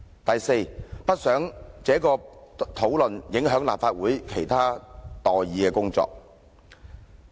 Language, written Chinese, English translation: Cantonese, 第四，他說不想有關討論影響立法會其他待議的工作。, Fourth he said that he did not want the discussions to affect other matters to be handled by the Legislative Council